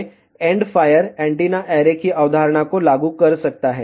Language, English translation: Hindi, So, one can actually apply the concept of the end fire antenna array